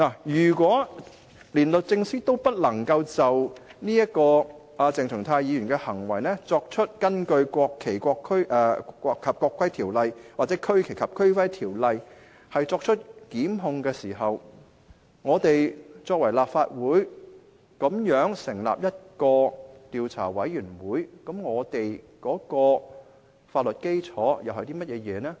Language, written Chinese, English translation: Cantonese, 如果連律政司也不能夠就鄭松泰議員的行為根據《國旗及國徽條例》或《區旗及區徽條例》作出檢控，立法會反而成立調查委員會，試問我們的法律基礎為何？, If the Legislative Council should set up an investigation committee when not even the Secretary for Justice can institute prosecution against Dr CHENG Chung - tais conduct under the National Flag and National Emblem Ordinance and the Regional Flag and Regional Emblem Ordinance tell me what legal basis is there for us to do so?